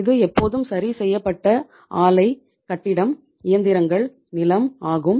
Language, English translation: Tamil, This is always fixed, plant, building, machinery, land